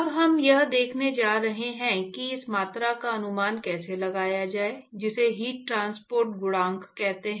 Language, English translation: Hindi, Now we are going to see, it’s a, we going to see how to estimate this quantity called heat transport coefficient